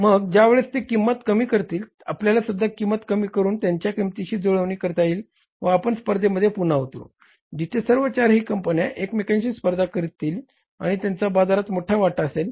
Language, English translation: Marathi, And when the moment they check up the price, we will also jack up the price and we will now create a level playing field where all the four companies are competing with each other and they have the sizeable market share